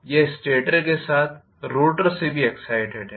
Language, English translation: Hindi, It is excited from both stator as well as rotor